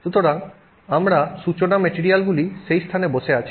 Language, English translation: Bengali, So, our starting materials are sitting at that location